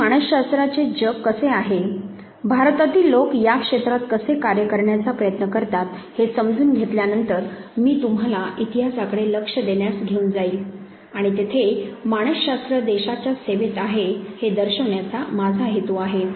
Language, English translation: Marathi, Now, having understood know how psychology world, how people in India try to working in this vary area I will take you to point in history where in my intention is to show at psychology has been at the service of the nation